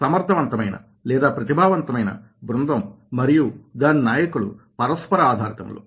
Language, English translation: Telugu, effective team and their leaders are there for interdependent